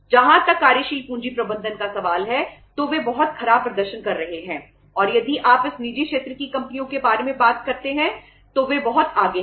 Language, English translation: Hindi, They are means performing so bad as far as the working capital management is concerned and if you talk about these private sector companies they are far ahead